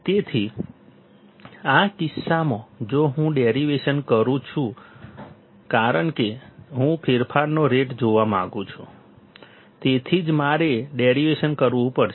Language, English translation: Gujarati, So, in this case if I do the derivation because I want to see the rate of change that is why I had to do derivation